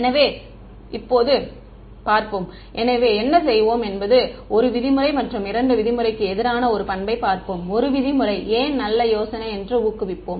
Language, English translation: Tamil, So, now let us look at; so, what will do is we will just look at a property of 1 norm vs 2 norm and then motivate why 1 norm is a good idea